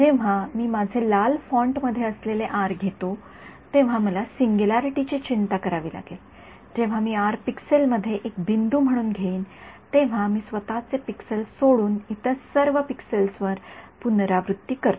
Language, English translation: Marathi, I have to worry about the singularity when I take my r which is in the red font, when I take r to be one point in the pixel, I iterate over all the other pixels all other pixel except the self pixel